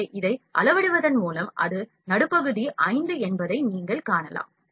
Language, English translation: Tamil, So, up scaling this one, you can see it is midpoint 5